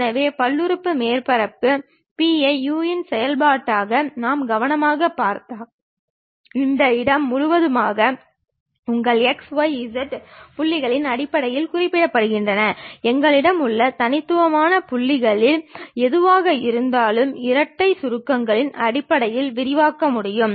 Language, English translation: Tamil, So, if we are looking at that carefully the polynomial surface P as a function of u, v represented in terms of your x, y, z points throughout this space whatever those discrete points we have can be expanded in terms of double summation